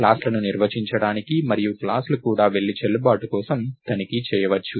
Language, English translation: Telugu, classes to be defined and the classes can also go and check for the validity, right